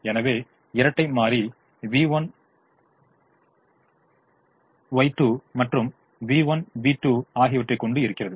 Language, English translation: Tamil, so the dual will have y one, y two and v one, v two